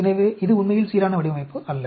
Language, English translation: Tamil, So, it is not a really balanced design